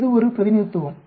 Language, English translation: Tamil, This is one representation